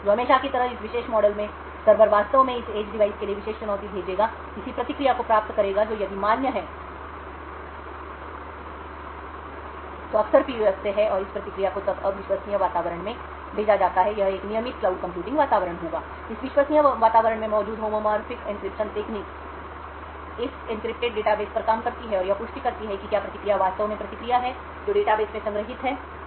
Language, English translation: Hindi, So in this particular model as usual, the server would actually send the particular challenge to this edge device, obtain the corresponding response which if valid is often from the PUF and this response is then sent to the untrusted environment, this would be a regular cloud computing environment, the homomorphic encryption technique used present in this untrusted environment then works on this encrypted database and validates whether the response is indeed the response which is stored in the database